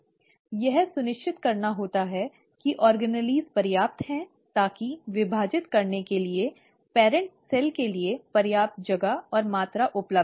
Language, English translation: Hindi, It has to make sure the organelles are sufficient, that there is a sufficient space and volume available for the parent cell to divide